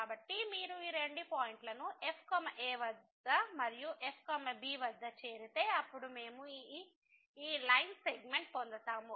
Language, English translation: Telugu, So, if you join these two points at and at then we get this line segment